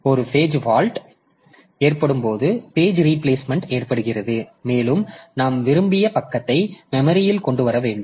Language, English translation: Tamil, So, this page replacement occurs when a page fault occurs and we need to bring the desired page into the memory